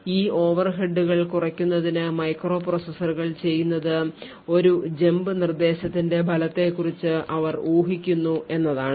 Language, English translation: Malayalam, So, in order to actually reduce these performance overheads what microprocessors do is they speculate about the result of a jump instruction